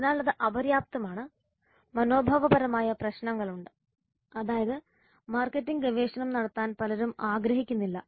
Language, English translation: Malayalam, There are attitudinal issues that is many people do not want to have marketing research done